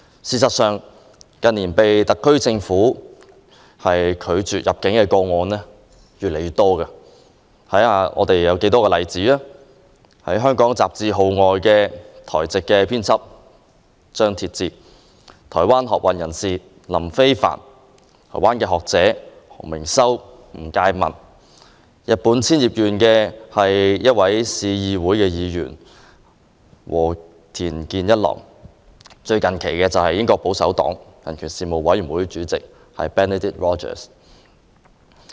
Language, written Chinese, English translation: Cantonese, 事實上，近年被特區政府拒絕入境的個案越來越多，例如香港雜誌《號外》的台籍編輯張鐵志、台灣學運人士林飛帆、台灣學者何明修和吳介民、日本千葉縣的市議會議員和田健一郎，以及最近期的英國保守黨人權事務委員會副主席 Benedict ROGERS。, In fact the number of refused entries by the SAR Government has been on the rise in the past few years . People who were refused entry included Taiwanese editor of Hong Kongs City Magazine CHANG Tieh - chih Taiwanese student activist LIN Fei - fan Taiwanese scholars HO Ming - sho and WU Jieh - min city councillor from Japans Chiba Prefecture Kenichiro WADA and most recently Deputy Chairman of the United Kingdom Conservative Partys human rights commission Benedict ROGERS